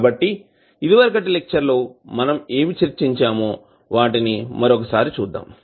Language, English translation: Telugu, So, let us recap what we were discussing in the last class